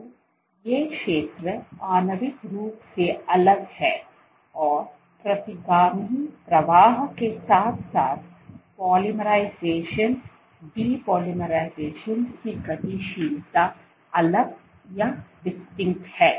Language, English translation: Hindi, So, these zones are molecularly distinct and the retrograde flow as well as polymerization depolymerization dynamics is distinct